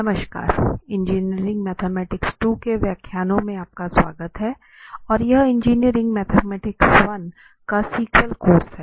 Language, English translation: Hindi, Hi, welcome to lectures on Engineering Mathematics II and this is a sequel course of Engineering Mathematics I